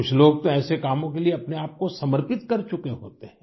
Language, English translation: Hindi, There are some people who have dedicated themselves to these causes